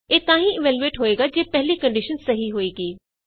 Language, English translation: Punjabi, This statement is evaluated if the previous condition is true